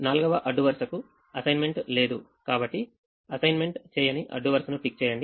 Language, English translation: Telugu, tick an unassigned row, so the fourth row does not have an assignment